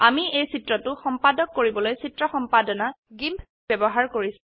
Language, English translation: Assamese, I am using the picture editor GIMP to edit this picture